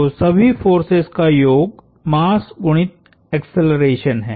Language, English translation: Hindi, So, sum of all forces is mass times the acceleration